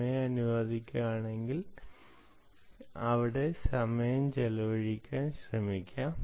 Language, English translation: Malayalam, if time permits, we will try and see if you can spend time there